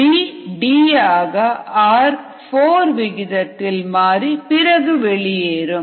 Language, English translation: Tamil, b gets converted to d at the rate of four, which comes outside